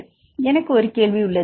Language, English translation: Tamil, So, I have a question